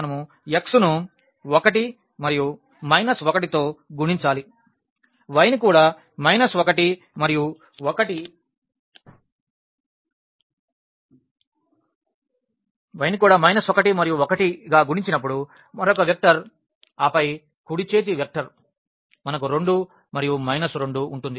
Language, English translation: Telugu, So, we have x multiplied by 1 and minus 1 again these coefficients when y multiplied by minus 1 and 1 the another vector and then the right hand side vector we have 2 and minus 2